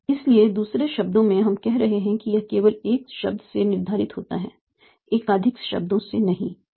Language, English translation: Hindi, So, or in other words you are saying that it is determined only by one word, not by multiple words